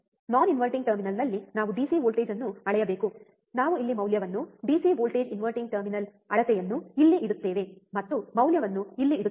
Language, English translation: Kannada, We have to measure the DC voltage at non inverting terminal, we put the value here, DC voltage inverting terminal measure here, and put the value here